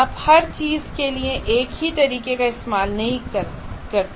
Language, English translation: Hindi, You do not want to use one method for everything